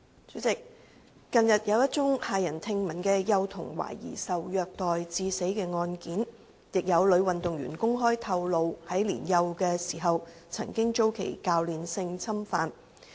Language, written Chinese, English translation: Cantonese, 主席，近日，有一宗駭人聽聞的幼童懷疑受虐待致死案件，亦有女運動員公開透露於年幼時曾遭其教練性侵犯。, President recently there has been an appalling case in which a young child died allegedly due to abuse . Also a female athlete has disclosed publicly that she was sexually abused by a coach when she was young